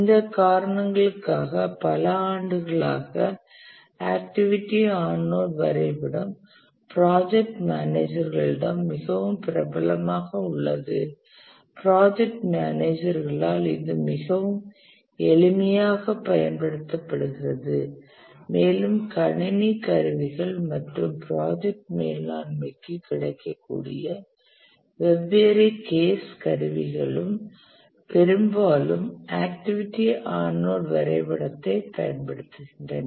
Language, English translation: Tamil, And possibly for that reason over the years activity on node diagram have become very popular used overwhelmingly by the project managers, very simple, and also the different case tools, the computer tools on project management that are available, they also use largely the activity on node diagram